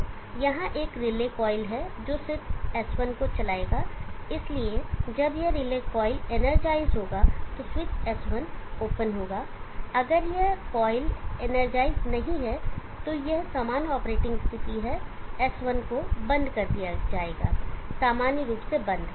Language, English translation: Hindi, Switches s1 and s2 are relays they are driven by relay coils, so there is a relay coil here which will drive switch s1, so when this relay coil is energized then the switch s1 will be open, if this coil is not energized then that is the normal operating condition s1 will be closed, normally closed